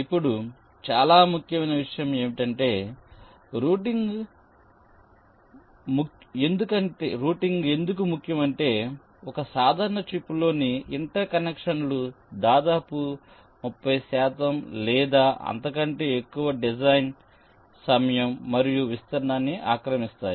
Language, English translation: Telugu, ok, now, one very important issue is that routing is important because inter connections in a typical chip can take us to an overrate of almost thirty percent, or even more of the design time as well as the area over it